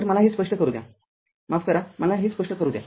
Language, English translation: Marathi, So, let me clear it sorry let me clear it